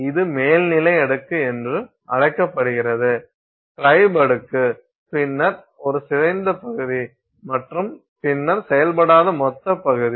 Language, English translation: Tamil, This is called the topmost layer is called tribo layer and then we have a deformed region and then we have an undeformed bulk region